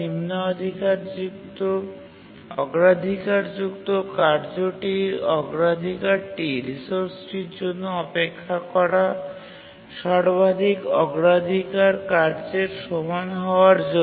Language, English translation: Bengali, The low priority task's priority is made equal to the highest priority task that is waiting for the resource